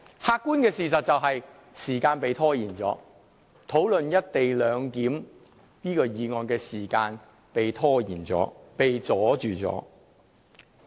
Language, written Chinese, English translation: Cantonese, 客觀的事實是時間被拖延，討論"一地兩檢"議案的時間被拖延，被阻礙。, The objective fact is that other discussion items have been delayed and the discussion on the motion pertaining to the co - location arrangement has been delayed and hindered